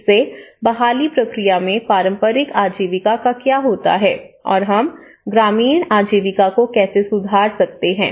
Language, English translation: Hindi, So, in the recovery process what happens to the traditional livelihoods, what happens to that, how we can enhance the rural livelihoods